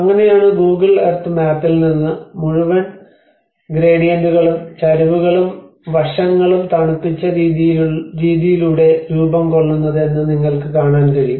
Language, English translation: Malayalam, \ \ And that is how from the Google Earth map you can see that the whole gradients and the slopes and aspects which are formed by the way it has been cool down